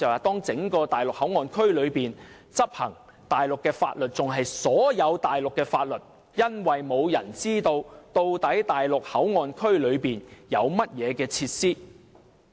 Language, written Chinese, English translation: Cantonese, 當整個內地口岸區執行所有內地法律時，沒有人知道究竟在內地口岸區內有甚麼設施。, If all Mainland laws are enforced in the entire MPA no one knows what facilities there actually are in MPA